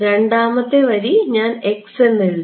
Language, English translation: Malayalam, The second line I wrote x